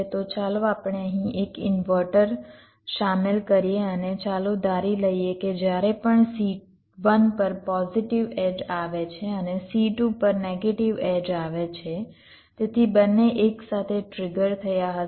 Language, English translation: Gujarati, so let us insert an inverter here and lets assume that whenever there is a positive edge coming on c one and negative edge coming on c two, so both will triggered together same way